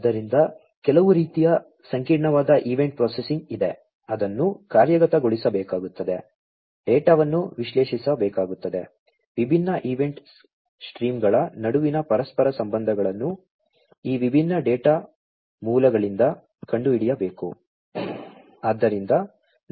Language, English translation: Kannada, So, there is some kind of complex event processing, that will have to be executed, the data will have to be analyzed correlations between different event streams will have to be found out from these different data sources and so on